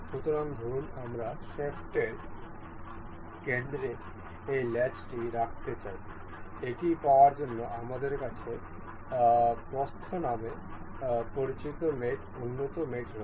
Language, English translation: Bengali, So, suppose, we wish to have this latch in the center of the shaft, to have this we have the mate advanced mate called width